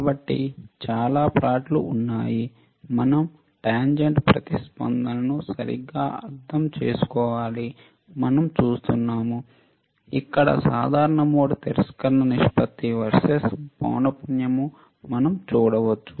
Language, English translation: Telugu, So, lot of plots are there that we need to understand tangent response right, we can we can see here common mode rejection ratio versus frequency